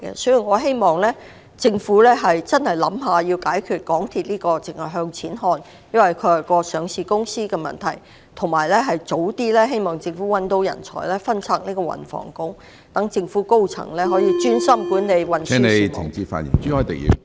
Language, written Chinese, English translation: Cantonese, 所以，我希望政府切實考慮如何解決港鐵公司作為上市公司，一切只向錢看的問題，並希望政府早日覓得人才，把運輸及房屋局分拆，以便政府高層可......專心管理運輸事務。, I therefore hope that the Government would seriously consider how it should address the problem with MTRCL which as a listed company has put money above everything . I also hope that the Government will identify suitable talents as early as possible and split the Transport and Housing Bureau so that the senior government officials concerned may concentrate on the management of transport matters